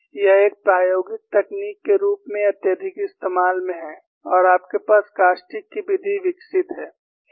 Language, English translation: Hindi, This is exploited as a experimental technique and you have a method of caustics developed